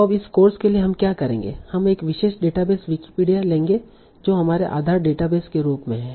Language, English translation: Hindi, So now for this course what we will do, we will take one particular database that is Wikipedia as our based database